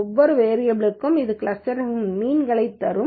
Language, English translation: Tamil, And for each variable it will give the means of the clusters